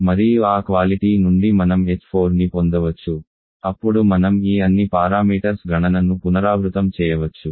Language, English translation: Telugu, You can get the h4s, then you can repeat the calculation of all these parameters